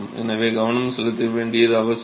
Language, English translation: Tamil, So, it is important to pay attention